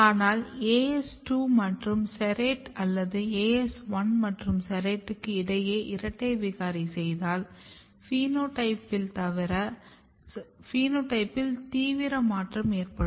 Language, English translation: Tamil, But if you make a double mutant between as2 and serrate or as1 and serrate you can see the phenotype is severe